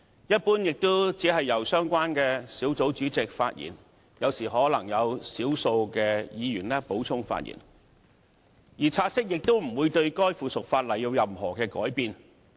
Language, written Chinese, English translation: Cantonese, 一般而言，也只是由相關小組委員會主席發言，有時可能有少數議員補充發言，而察悉亦不會令附屬法例有任何改變。, In general only the Chairmen of the relevant subcommittees would speak and occasionally a few Members might speak to provide further comments . Taking note of an item of subsidiary legislation will not make any changes